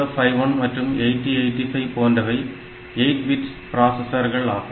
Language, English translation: Tamil, Unlike say 8051 or 8085 which are 8 bit processors